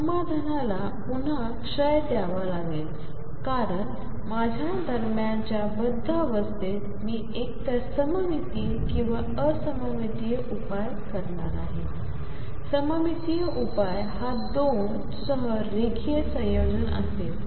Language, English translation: Marathi, The solution again has to decay because the bound state in between I am going to have either symmetric or anti symmetric solutions the symmetric solution would be linear combination with two